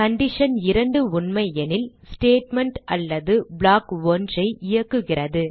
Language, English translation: Tamil, If condition 2 is true, then the program executes Statement or block 1